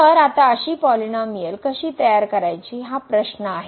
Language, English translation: Marathi, So, now the question is how to construct such a polynomial